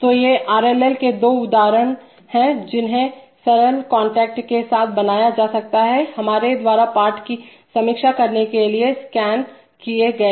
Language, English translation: Hindi, So these are the two examples of RLL that can be constructed with simple contacts, to review the lesson we have scan